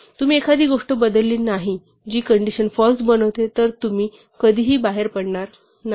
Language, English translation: Marathi, If you have not changed something which makes the condition false you will never come out